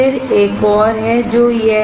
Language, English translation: Hindi, Then there is another one which is this one